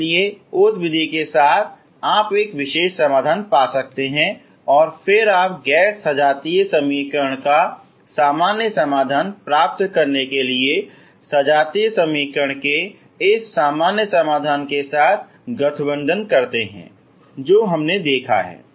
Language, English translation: Hindi, So with that method you can find a particular solution and then you combine with this general solution of the homogeneous equation to get the general solution of non homogeneous equation is what we have seen